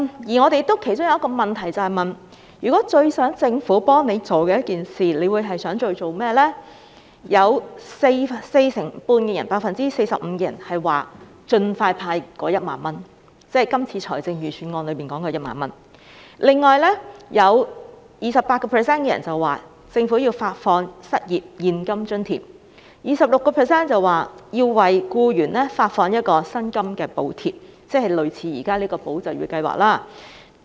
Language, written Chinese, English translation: Cantonese, 調查其中一項問題問到他們最希望政府幫助的一件事，有 45% 受訪者表示希望盡快派發1萬元，即今次財政預算案提到的1萬元；有 28% 受訪者要求政府發放失業現金津貼；有 26% 受訪者要求政府為僱員發放薪金補貼，即類似現在提出的"保就業"計劃。, Hence their income is affected . One of the questions asked in the survey is about the assistance they wanted most from the Government . Among the respondents 45 % looked forward to the expeditious distribution of the 10,000 cash handout that is the 10,000 handout mentioned in this Budget 28 % requested the Government to provide cash allowance for the unemployed and 26 % requested the Government to provide wage subsidies for employees which is similar to those under the Employment Support Scheme ESS being put forward